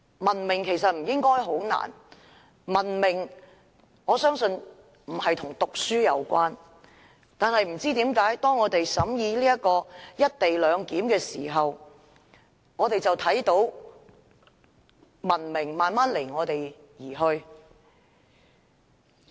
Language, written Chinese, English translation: Cantonese, 文明其實不應是困難的事，我相信文明與讀書無關，但不知為何，當我們審議《條例草案》時，卻看到文明慢慢離我們而去。, Being civilized should not be something difficult to achieve . I believe civilization is unrelated to education . But I do not know why when we vetted the Bill we saw civilization slowly left us